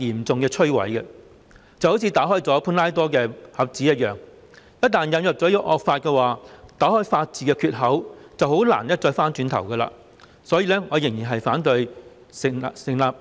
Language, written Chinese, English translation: Cantonese, 這好像打開了潘朵拉的盒子，一旦引入惡法，打開了法治的缺口便難以回頭，故此我仍然反對《條例草案》。, This is even more important and fearful as if the Pandoras Box has been opened . Once the draconian law is introduced a loophole is created and there will be no turning back . Hence I still oppose the Bill